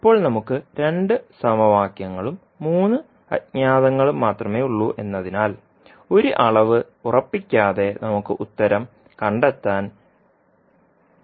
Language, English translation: Malayalam, Now as we have only 2 equations and 3 unknowns we cannot find the solution, until unless we fix one quantity